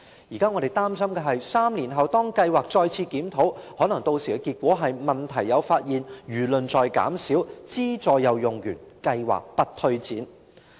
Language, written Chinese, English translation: Cantonese, 現在我們擔心的是 ，3 年後當計劃進行檢討，屆時的結果可能是："問題有發現，輿論在減少，資助又用完，計劃不推展"。, Now we are worried that three years later when the programme is reviewed the conclusion will likely be problems are identified; public opinions are fading; subsidies have been exhausted; the programme will not go ahead